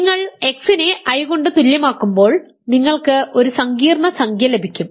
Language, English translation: Malayalam, So, you plug in x equal to i you then get a complex number